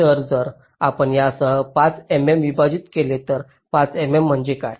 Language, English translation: Marathi, so if you divide five m m with this um, five m m means what